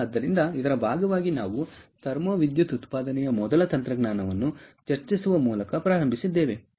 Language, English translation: Kannada, so as part of this, we started by discussing the first technology, which is thermo electric generation